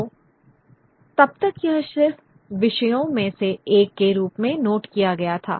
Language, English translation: Hindi, So, it was till then it was just noted as one of the themes